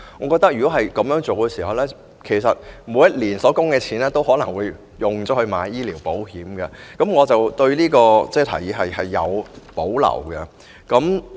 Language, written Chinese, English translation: Cantonese, 果真如此，恐怕每年的供款都會用來購買醫療保險，我因此對這項建議有保留。, If that being the case I am afraid the entire amount of contributions each year will be spent on taking out medical insurance . Hence I have reservations about this proposal